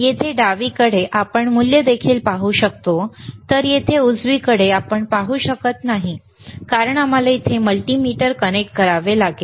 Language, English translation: Marathi, Here we can also see the value, while here we cannot see right because we have to connect a multimeter here